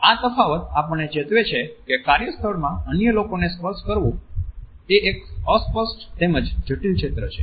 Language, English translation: Gujarati, These differences alert us to this idea that touching other human beings in a workplace is a fuzzy as well as a complex area